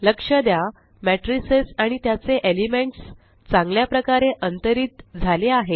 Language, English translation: Marathi, Notice how the matrices and their elements are well spaced out